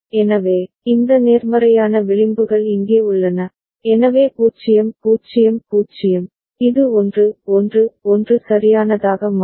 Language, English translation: Tamil, So, these positive edges over here, so 0 0 0, it becomes 1 1 1 right